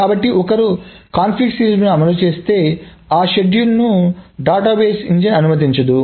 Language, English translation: Telugu, So, if one enforces the conflict serializability, those schedules are not going to be allowed by the database engine